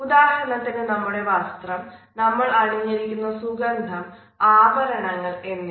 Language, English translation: Malayalam, For example, the dress we wear the smell which we wear the accessories which we carry with us